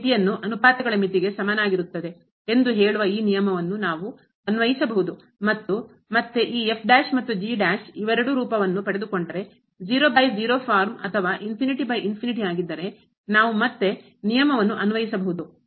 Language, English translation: Kannada, We can apply this rule which says that this limit will be equal to the limit of the ratios and if again this prime and prime they both becomes or takes the form by or infinity by infinity then we can again apply the rule